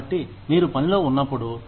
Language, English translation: Telugu, So, when you are at work